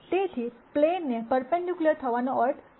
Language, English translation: Gujarati, So, what does n being perpendicular to the plane mean